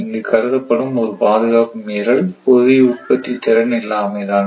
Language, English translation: Tamil, So, the only breach of security considered here is insufficient generation capacity